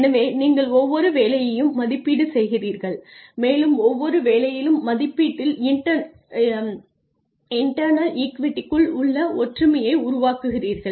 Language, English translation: Tamil, So, you evaluate each job and you create internal equity internal the similarity in the assessment in each job